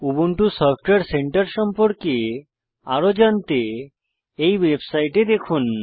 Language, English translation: Bengali, For more information on Ubuntu Software Centre,Please visit this website